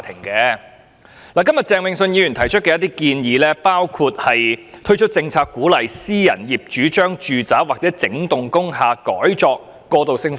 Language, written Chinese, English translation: Cantonese, 鄭泳舜議員今天提出若干建議，包括"推出政策鼓勵私人業主將住宅或整幢工廈改作過渡性房屋"。, Mr Vincent CHENG has made a number of recommendations today including to introduce policies for encouraging private property owners to convert their residential properties or whole blocks of industrial buildings into transitional housing